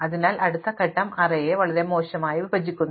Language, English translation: Malayalam, So, the next step splits the array very badly